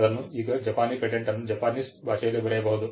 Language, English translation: Kannada, Now a Japanese patent will be written in Japanese language